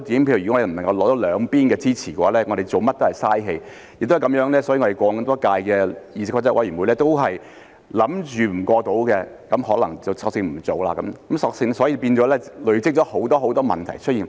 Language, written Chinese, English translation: Cantonese, 亦因為這個原因，所以過往多屆的議事規則委員會預計無法通過的，可能便索性不做，故此變成累積了很多很多問題出現。, For this reason the Committee on Rules of Procedure of the previous terms might simply choose not to proceed with something which they thought would not be passed . This has led to the accumulation of a bunch of problems